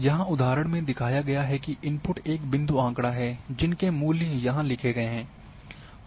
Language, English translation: Hindi, The example is shown here that the input is a point data and their values are written here